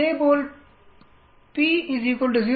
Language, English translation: Tamil, Similarly just like p is equal to 0